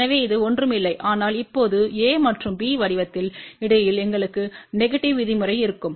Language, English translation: Tamil, So, this will be nothing, but now, in the form of a and b in between we will have a negative term